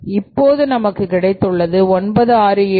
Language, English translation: Tamil, So, it is 9681